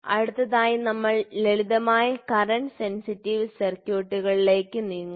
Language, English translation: Malayalam, Next we will move into simple current sensitive circuits